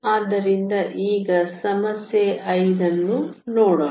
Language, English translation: Kannada, So, let us now look at problem 5